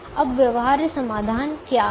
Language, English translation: Hindi, now, what is a feasible solution